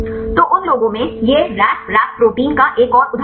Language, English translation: Hindi, So, in those, another example this is the Ras Rap protein